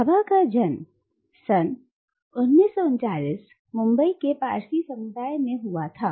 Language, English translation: Hindi, Bhabha was born in 1949 in the Parsi community of Bombay